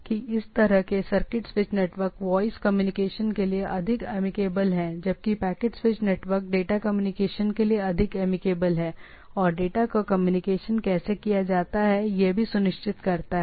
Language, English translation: Hindi, So, it is more amicable for voice communication where as this sorry this circuit switch network and where as the packet switch network are more amicable for data communication or how data is communicated between the things